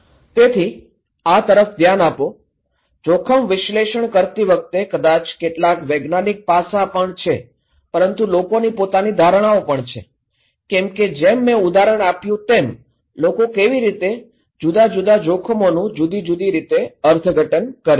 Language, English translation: Gujarati, So, look into this, that first maybe some scientific aspect doing that risk analysis part but people have their own perceptions as I gave the example that how people interpret different risk in different ways